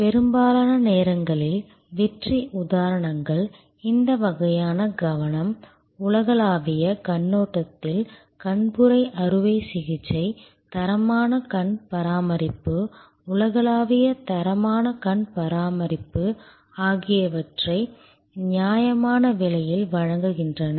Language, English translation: Tamil, Most of the time, success examples comes from this kind of focus, cataract surgery from a global perspective, offer quality eye care, global standard eye care at reasonable cost